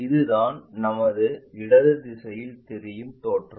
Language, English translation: Tamil, This is the way our left direction side if we are looking at